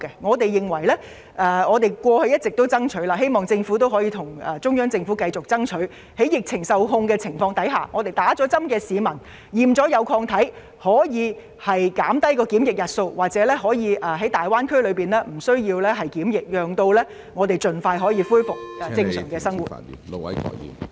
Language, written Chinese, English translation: Cantonese, 我們過去一直向中央政府爭取，希望政府亦會繼續向中央政府爭取，倘若疫情受控，容許接種疫苗後經檢驗證實有抗體的市民在前往大灣區時減少檢疫日數甚或無須檢疫，好讓市民盡快恢復正常生活。, We have been urging and I hope that the Government will continue to urge the Central Government to shorten or even exempt the quarantine period for Hong Kong people travelling to the Greater Bay Area if they are tested positive for antibodies after vaccination with a view to expeditiously allowing Hong Kong people to resume normal lives